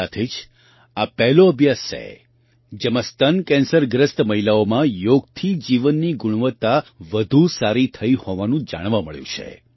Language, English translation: Gujarati, Also, this is the first study, in which yoga has been found to improve the quality of life in women affected by breast cancer